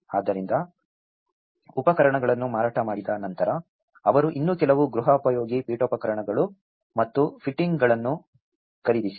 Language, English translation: Kannada, So, once the tools have been sold, they even bought some more household furnishings and fittings